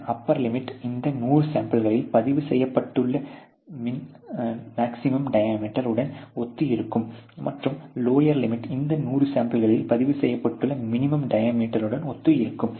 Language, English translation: Tamil, And then an upper limit which would correspond to the maximum diameter which is recorded in this 100 samples, and a lower limit which is recorded as a minimum sample diameter which is recorded on those 100 samples